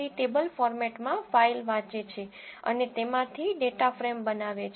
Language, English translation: Gujarati, Read dot CSV reads a file in the table format and creates a data frame from it